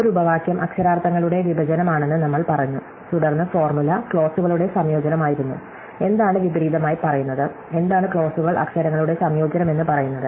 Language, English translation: Malayalam, So, we said that a clause was a disjunction of literals, and then the formula was a conjunction of clauses, what would be a reverse says, what would be say clauses are conjunction of literals